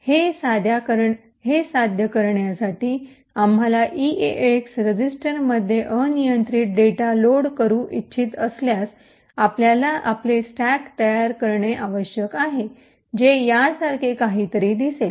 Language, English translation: Marathi, In order to achieve this where we want to load arbitrary data into the eax register, we need to create our stacks which would look something like this way